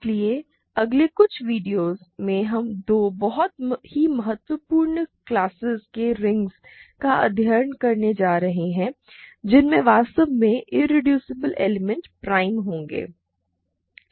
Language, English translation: Hindi, So, in the next couple of videos we are going to study two very important classes of rings in which irreducible elements are in fact, going to be prime ok